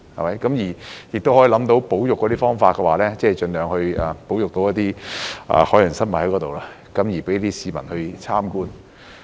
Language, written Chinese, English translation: Cantonese, 可以想象到當中的保育方式，即盡量在那裏保育一些海洋生物，供市民參觀。, We can well imagine the conservation approach adopted namely the conservation of marine life there for public viewing as far as possible